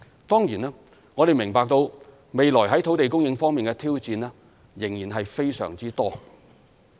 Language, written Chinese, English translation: Cantonese, 當然，我們明白未來在土地供應方面的挑戰仍然非常多。, We are certainly aware of the considerable land supply challenges still ahead